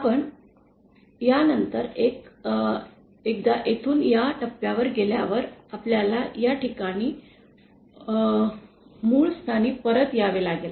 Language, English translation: Marathi, And after that once we go from here to this point, we have to come back to this point at the origin